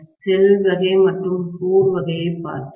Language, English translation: Tamil, We looked at shell type and core type